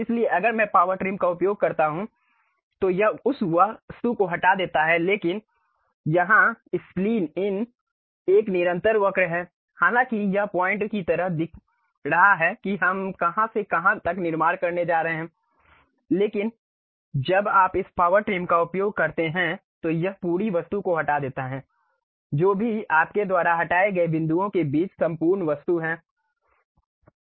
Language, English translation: Hindi, So, if I use Power Trim it removes that object, but here Spline is a continuous curve though it is showing like points from where to where we are going to construct, but when you use this Power Trim it removes the entire object, whatever the entire object you have between the points that will be removed